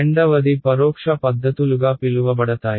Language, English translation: Telugu, The second is what are called indirect methods right